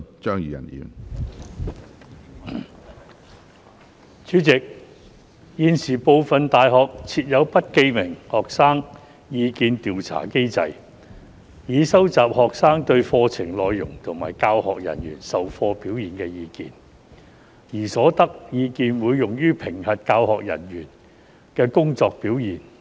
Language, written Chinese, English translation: Cantonese, 主席，現時，部分大學設有不記名的學生意見調查機制，以收集學生對課程內容及教學人員授課表現的意見，而所得意見會用於評核教學人員的工作表現。, President currently some universities have put in place an anonymous student opinion survey mechanism to collect students opinions on course contents and teaching staffs teaching performance and the opinions so obtained will be used for evaluating the work performance of teaching staff